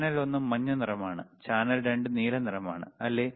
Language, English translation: Malayalam, Channel one is yellow color, channel 2 is blue color, right